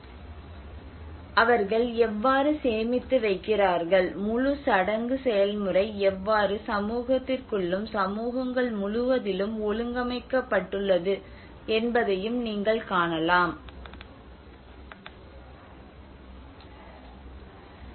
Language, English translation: Tamil, (Video Start Time: 16:46) So you can see that you know even the kind of grainers how they store and how the whole ritual process have been organized within the community and again across communities